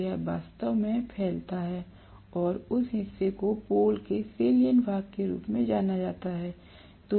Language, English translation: Hindi, So that actually protrudes and that portion is known as the salient portion of the pole